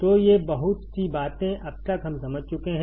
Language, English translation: Hindi, So these much things we have understood till now